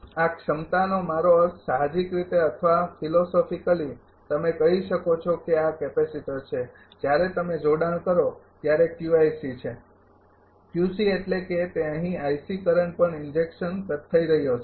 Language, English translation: Gujarati, This capacity I mean institutively or philosophically you can tell this is capacitor when you connect it is Q i C, Q C means it is also injecting current here i C